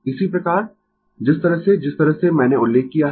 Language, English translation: Hindi, Similarly, the way the way I have mention